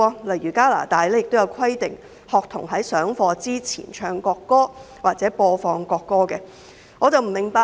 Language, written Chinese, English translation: Cantonese, 例如，加拿大規定在上課前播放國歌或學童在上課前唱國歌。, For example the national anthem is required to be played or sung by students before lessons begin in Canada